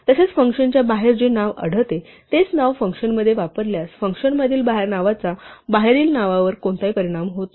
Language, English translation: Marathi, Also if we use the same name inside a function as is found outside a function the name inside the function does not in any way affect the name outside